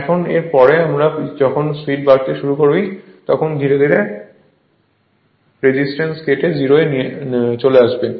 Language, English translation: Bengali, Now after that I when speed is pick up slowly and slowly cut the resistance and bring this resistance to 0